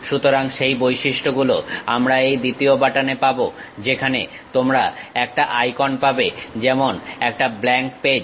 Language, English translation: Bengali, So, those properties we will get it at this second button where you will have an icon like a blank page